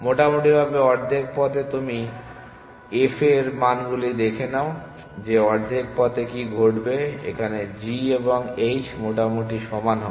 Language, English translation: Bengali, Roughly, at the half way mark you look at its values what would happen at the half way mark at the f value g and h should be roughly equally